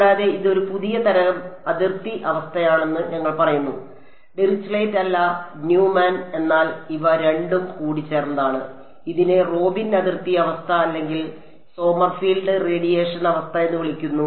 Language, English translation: Malayalam, And, we say that this is a new kind of boundary condition not Dirichlet not Neumann, but a combination of the two which is called the Robin boundary condition or Sommerfield radiation condition